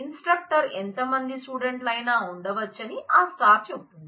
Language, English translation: Telugu, And star says that if the instructor can have any number of student